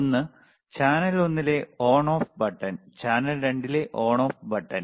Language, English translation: Malayalam, One is on off on off button at the channel one, on off button at channel 2